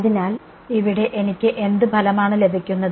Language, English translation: Malayalam, So, what kind of results do I get over here